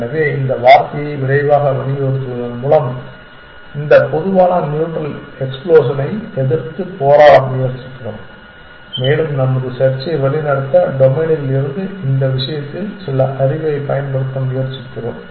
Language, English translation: Tamil, So, the emphasis the word quickly we are trying to fight this common neutral explosion and trying to use some knowledge in this case from the domain to guide our search